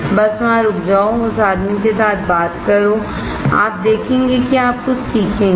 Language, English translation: Hindi, Just stop by there, talk with that guy and you will see that you will learn something